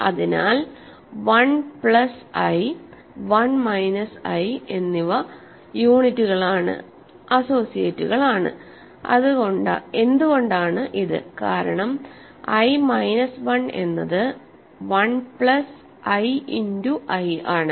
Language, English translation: Malayalam, So, 1 plus i and i minus 1 are units are associates, why is this, because i minus 1 is 1 plus i times i right, i is a unit, this times i unit is 1 minus i minus 1 so, they are associates